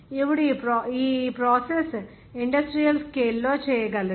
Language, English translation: Telugu, Now to make this process be able to industrial scale